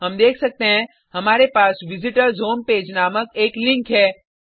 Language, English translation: Hindi, We can see that we have a link called Visitors Home Page